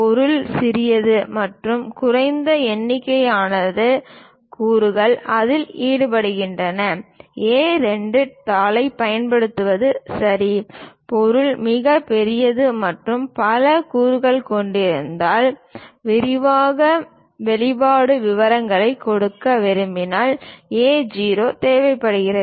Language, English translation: Tamil, If the object is small and small number of elements are involved in that, is ok to use A2 sheet; if the object is very large and have many components would like to give detailed expressions details, then A0 is required